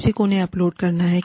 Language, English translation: Hindi, Somebody has to upload them